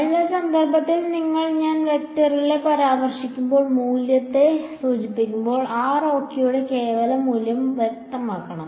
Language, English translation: Malayalam, So, it should be clear to you from the context when I am referring to the vector and when I am referring to the value the absolute value of r ok